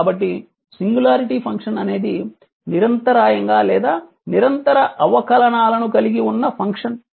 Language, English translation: Telugu, So, singularity function are function that either are discontinuous or have discontinuous derivatives right